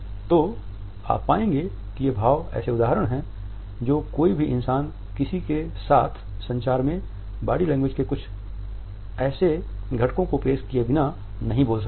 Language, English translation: Hindi, So, you would find that these expressions are illustrators no human being can speak without introducing some component of body language in one’s communication